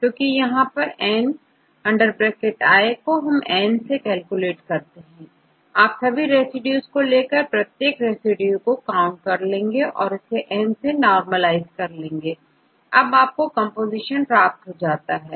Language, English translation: Hindi, Because just you can calculate n by N, take all the residues, count the residues of each type, normalized by N, you will get the composition right